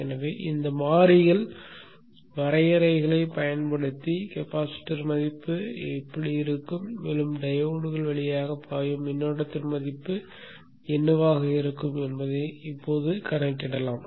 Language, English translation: Tamil, So using these variables definition we shall now calculate what should be the value of the capacitance and also what should be the value of the currents that should flow through the diodes and such